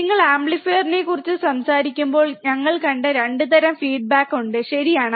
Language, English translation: Malayalam, That when you talk about amplifier there are 2 types of feedback we have seen, right